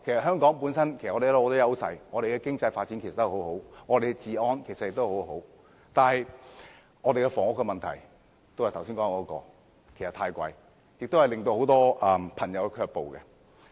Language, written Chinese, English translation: Cantonese, 香港本身有很多優勢，經濟發展及治安皆很好，但住屋開支卻正如我剛才所說般太高昂，令很多朋友卻步。, Hong Kong enjoys a competitive edge in many areas and its economic development as well as law and order condition are both satisfactory . But as I said just now our housing expenses are too high thus deterring many people from coming to Hong Kong